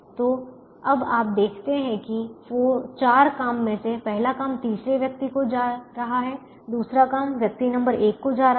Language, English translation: Hindi, so now you see that out of the four job, the first job is going to the third person